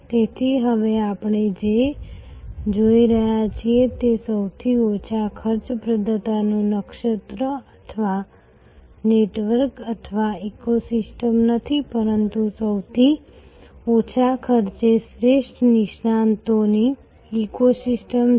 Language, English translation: Gujarati, So, what we are now seeing is therefore, not a constellation or network or ecosystem of the lowest cost provider, but an ecosystem of the best experts at the lowest cost